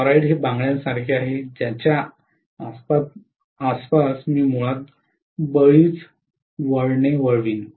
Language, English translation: Marathi, Toroid like a bangle around which I am going to wind many turns basically